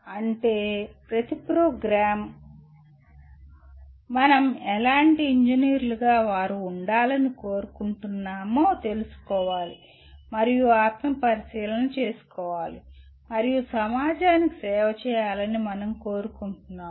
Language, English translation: Telugu, That means each program will have to introspect and find out what kind of engineers we want to, we want them to be and go and serve the society